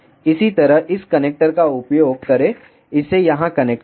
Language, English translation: Hindi, Similarly, use this connector connect it here